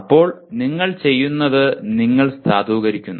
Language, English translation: Malayalam, Then what you do, you validate